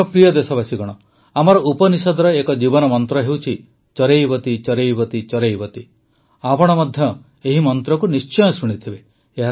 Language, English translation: Odia, My dear countrymen, our Upanishads mention about a life mantra 'CharaivetiCharaivetiCharaiveti' you must have heard this mantra too